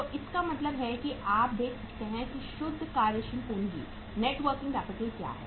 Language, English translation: Hindi, So it means now you can see that the what is the net working capital NWC